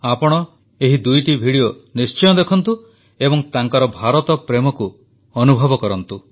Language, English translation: Odia, You must watch both of these videos and feel their love for India